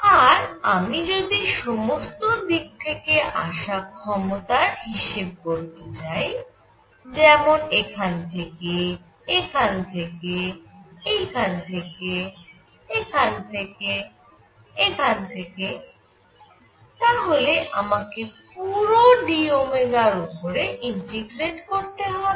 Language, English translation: Bengali, And if I want to calculate the power coming from all sides, so here, here, here, here, here, here, here, here, I got to integrate over d omega